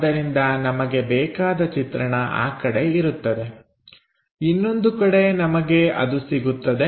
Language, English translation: Kannada, So, our view will be on that side, on the other side we will have it